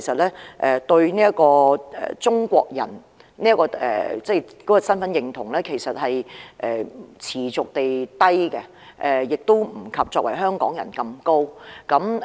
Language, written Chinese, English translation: Cantonese, 他們對於中國人的身份認同持續偏低，亦不及作為香港人般高。, The identity index of being Chinese continues to remain low and it is not as high as the identity index of being Hongkongers